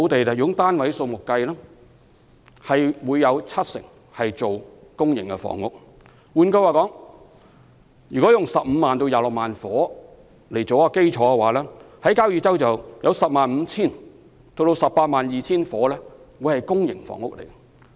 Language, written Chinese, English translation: Cantonese, 就房屋單位數目而言，若在交椅洲可以興建15萬至26萬個住屋單位，當中 105,000 到 182,000 個屬公營房屋。, In terms of the number of housing units assuming that 150 000 to 260 000 residential units are built in Kau Yi Chau 105 000 to 182 000 of them will be public housing